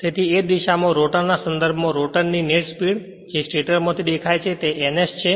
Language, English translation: Gujarati, With respect to the rotor in the same direction the the net speed of the rotor field as seen from the stator is your n s